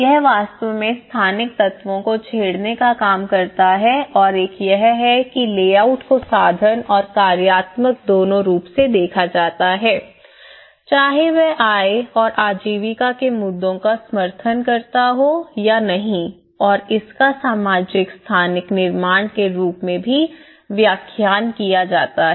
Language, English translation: Hindi, It actually worked to tease out the spatial elements and one is the layout is viewed both instrumentally and functionally whether support or not the issues of income and livelihood and it can also be interpreted as socio spatial construct which supports different performatives related to social and cultural life